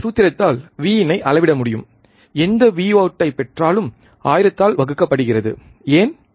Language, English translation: Tamil, We can measure V in by this formula, whatever V out we get divide by thousand, why